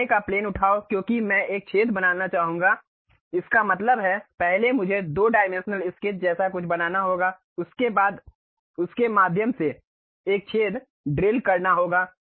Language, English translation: Hindi, Pick the front plane because I would like to make a hole; that means, first I have to make something like a 2 dimensional sketch after that drill a hole through that